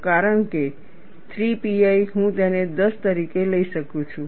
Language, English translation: Gujarati, Because 3 pi, I can take it as 10